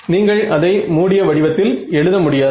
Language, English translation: Tamil, In fact, it you cannot write it in close form